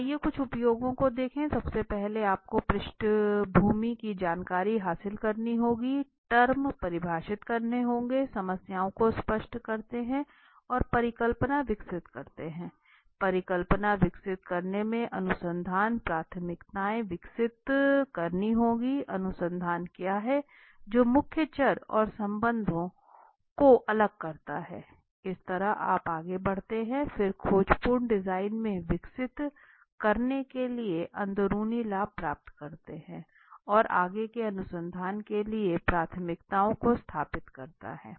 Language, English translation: Hindi, So let’s see some of the uses right first you have to gain a background information define the terms clarify the problems and develop hypothesis help in developing hypothesis establish the research priorities what is the research all about isolate that the key variables and relationships so this is how you move in then exploratory design right gain the insides for developing an approach establish the priorities for further research